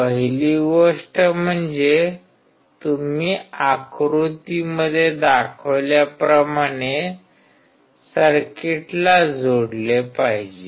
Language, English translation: Marathi, The first thing is you should connect the circuit as shown in figure